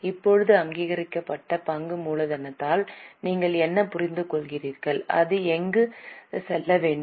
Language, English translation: Tamil, Now what do you understand by authorize share capital and where should it go